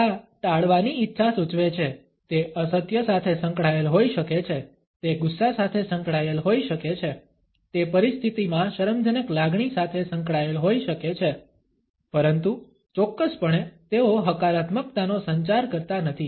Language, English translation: Gujarati, These indicate a desire to avoid it may be associated with a lie, it may be associated with anger, it may be associated with feeling shame faced in a situation, but definitely, they do not communicate a positivity